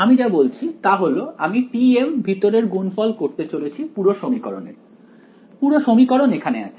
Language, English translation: Bengali, So, what I am saying is now I am going to do t m inner product of the whole equation right, the whole equation is over here